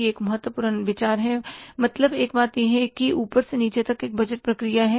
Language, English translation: Hindi, It is one thing is that is the budgeting process from top to bottom